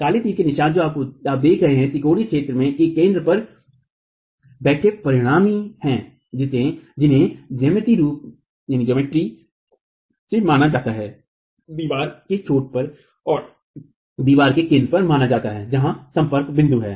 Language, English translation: Hindi, The black arrow marks that you see are the resultants sitting at the centroid of the triangular area that is being considered geometrically being considered at the ends of the wall and at the center of the wall where the contact points are